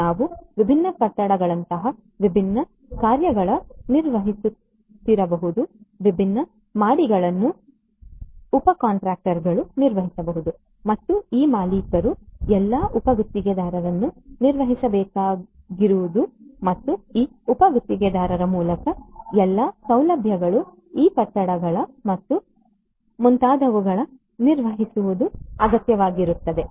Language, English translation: Kannada, We may have the different subcontractors performing different things like different buildings, different floors could be handled by the subcontractors and what is required is to have this owner manage all the subcontractors and through these subcontractors manage these facilities these buildings and so on